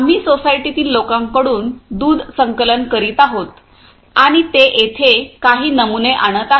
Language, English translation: Marathi, So, we are collecting the milk from the society people and they are bringing some samples over here